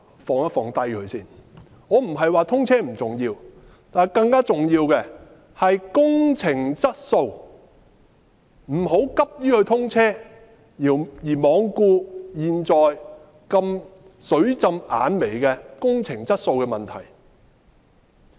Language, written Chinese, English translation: Cantonese, 我不是說通車不重要，但更重要的是工程質素，不要急於通車而罔顧現時工程質素"水浸眼眉"的問題。, I am not saying that the commissioning of SCL is not important but the project quality is more important . We should not strive for an early commissioning in disregard of some pressing problems with project quality